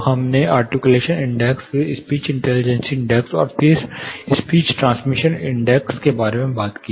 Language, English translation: Hindi, So, we talked about articulation index, then speech, you know speech intelligibility index, and then speech transmission index